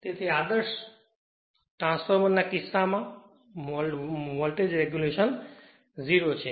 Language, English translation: Gujarati, So, in that case regulation is 0 for an ideal transformer